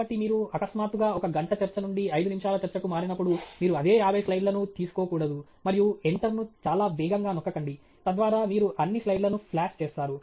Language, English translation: Telugu, So, but it’s important to remember that when you suddenly move from a one hour talk to a 5 minute talk, you shouldn’t take the same 50 slides, and keep hitting enter very fast, so that you flash all the slides